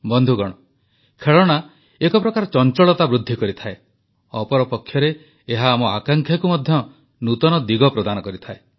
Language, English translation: Odia, Friends, whereas toys augment activity, they also give flight to our aspirations